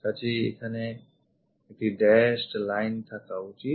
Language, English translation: Bengali, So, here there should be a dashed line